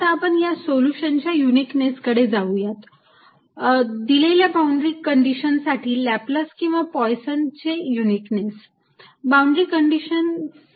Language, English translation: Marathi, now let's go to uniqueness of solution, uniqueness of solution of laplace's or poison's equation for a given boundary condition